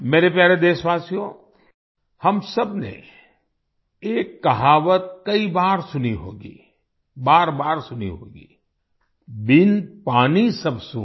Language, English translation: Hindi, My dear countrymen, we all must have heard a saying many times, must have heard it over and over again without water everything is avoid